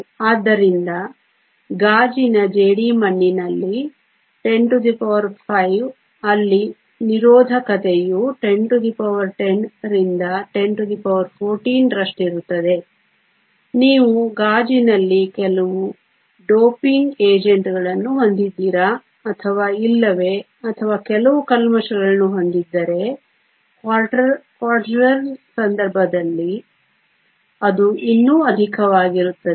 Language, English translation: Kannada, So, 10 to the 5 in the clays of glass where resistivity is around 10 to the 10, 10 to the 14 depending upon if you have some doping agents in glass or not or some impurities, in case of Quartz its even higher